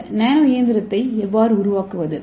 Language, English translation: Tamil, So how to construct this nano machine